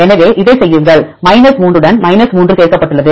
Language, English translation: Tamil, So, do this is 3 added to 3